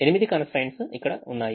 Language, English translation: Telugu, the eight constraints are here